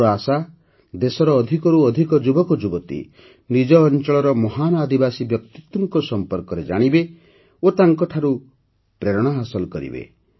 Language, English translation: Odia, I hope that more and more youth of the country will know about the tribal personalities of their region and derive inspiration from them